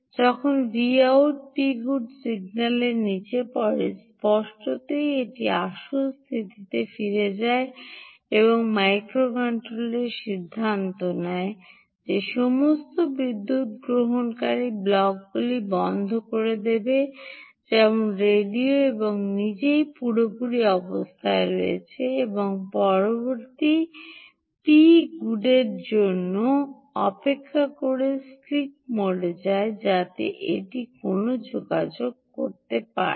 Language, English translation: Bengali, when v out falls down, p good signal obviously goes, reverts to its original status and microcontroller decides to switch off all power consuming blocks, such as radio and itself in fully on state, and goes to sleep mode awaiting the next p good so that it can do a communication